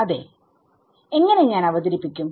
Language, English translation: Malayalam, Yeah how do I introduce it